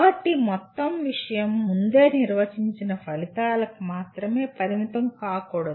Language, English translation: Telugu, So one should not consider the entire thing is limited to only pre defined outcomes